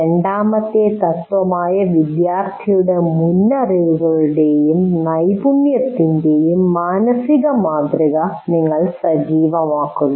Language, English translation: Malayalam, And then you activate the mental model of the prior knowledge and skill of the student